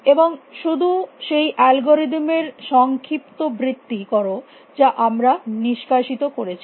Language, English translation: Bengali, And just recap the algorithm we extract